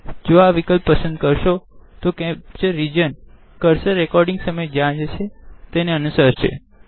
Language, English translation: Gujarati, If this option is selected, the capture region will follow the cursor wherever it goes during recording